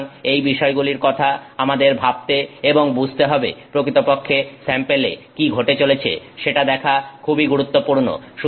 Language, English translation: Bengali, So, these are things that we need to think about and really to understand that it is important to look at what is happening to that sample